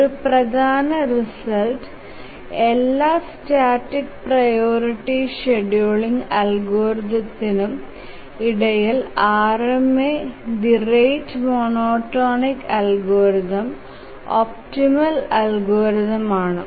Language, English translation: Malayalam, One important result is that among all static priority scheduling algorithms, RMA, the rate monotonic algorithm is the optimal algorithm